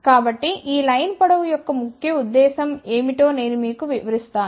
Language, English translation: Telugu, So, I will explain you what is the purpose of these line lengths over here